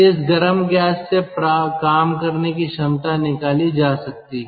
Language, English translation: Hindi, from this hot gas can be extracted